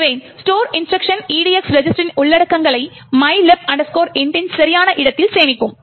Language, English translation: Tamil, Therefore, the store instruction would store the contents of the EDX register to the correct location of mylib int